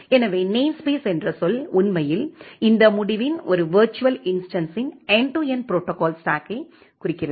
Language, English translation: Tamil, So, the term namespace actually indicates a virtual instance of this end to end protocol stack